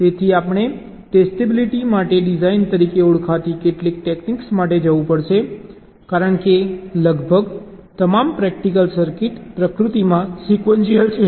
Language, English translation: Gujarati, so we have to go for some techniques called design for testability, because almost all the practical circuits are sequential in nature